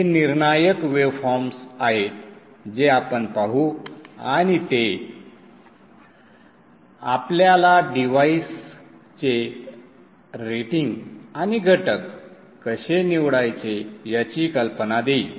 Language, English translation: Marathi, These are critical waveforms which we will look at and that will give us an idea of how to go about rating the devices and selecting the components